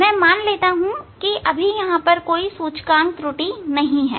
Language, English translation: Hindi, I assume here that there is no index error